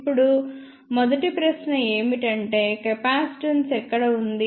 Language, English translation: Telugu, Now, the first question is where does a capacitance exist